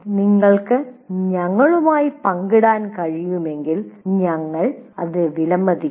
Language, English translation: Malayalam, And if you can share with us, we'll appreciate that